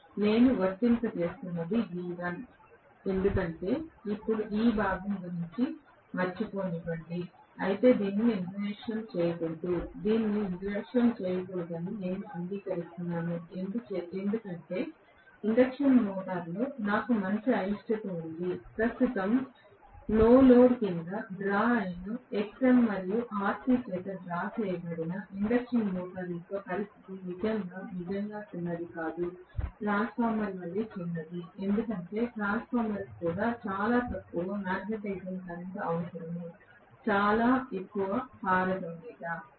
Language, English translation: Telugu, What I am applying is V1, for now let me forget about this component although this should not be neglected, I agree it should not be neglected because I am having a good amount of reluctance in the induction motor, the current drawn under no load condition of an induction motor which is drawn by Xm and Rc is not going to be really really, small as small as transformer because transformer requires very minimum magnetizing current, very high permeability